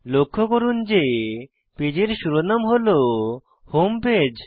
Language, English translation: Bengali, Observe that the title of the page is Home Page